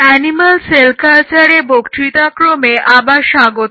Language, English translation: Bengali, Welcome back to the lecture series in Animal Cell Culture